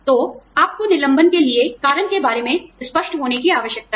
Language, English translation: Hindi, So, you need to be clear, about the reason, for the layoff